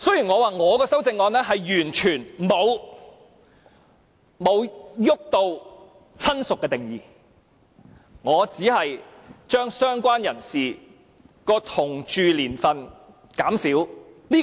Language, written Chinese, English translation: Cantonese, 我的修正案完全沒有觸及"親屬"的定義，只把政府要求的"相關人士"的同住年數減少。, My amendment does not touch on the definition of relative at all . It has merely shortened the duration of living together with the related person required by the Government . Members may disagree with this point